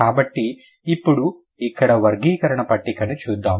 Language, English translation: Telugu, So, now let's look at the classification table here